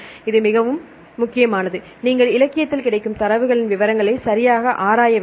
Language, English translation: Tamil, In this case this is very important you have to look into the details of the data available in the literature right